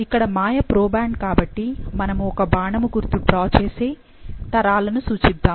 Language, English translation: Telugu, Maya is the proband, so we will make a arrow and let's now denote the generation